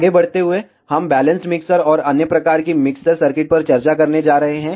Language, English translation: Hindi, Going forward, we are going to discuss balanced mixers and other types of mixer circuits